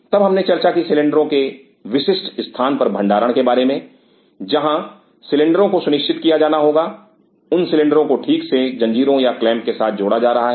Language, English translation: Hindi, Then we talked about storage of the cylinder at specific location where the cylinders have to be ensured that those cylinders are properly hooked with chains or clamps